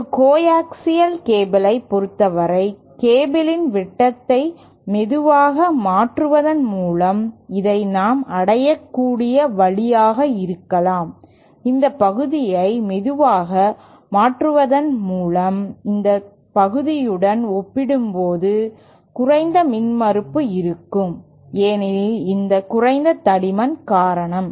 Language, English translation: Tamil, For a coaxial cable it might be the way we can achieve is by having diameter of the cable slowly changing this part will have a lower impedance as compared to this part because of this lower thickness